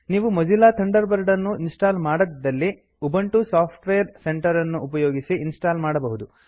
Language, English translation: Kannada, If you do not have Mozilla Thunderbird installed on your computer, you can install it by using Ubuntu Software Centre